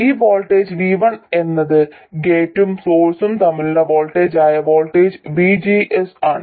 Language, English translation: Malayalam, This voltage V1 is the voltage VGS, that is the voltage between gate and source